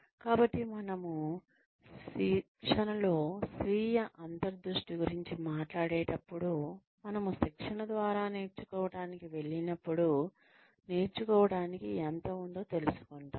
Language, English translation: Telugu, So, when we talk about self insight in training; when we go through training, we realize, how much there is to learn